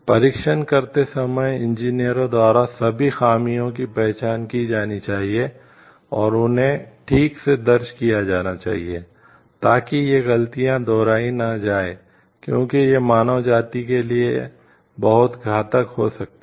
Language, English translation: Hindi, All loopholes while testing should be identified and, properly recorded by the engineers such that these mistakes are not repeated as can be very deadly for the mankind